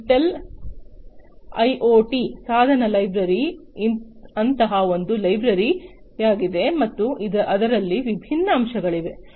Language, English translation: Kannada, Intel IoT device library is one such library and there are different components in it